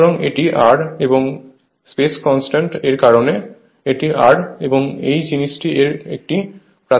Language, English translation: Bengali, So, this is my R and because of space constraint so, this is my R and this is your this thing this side is a primary side right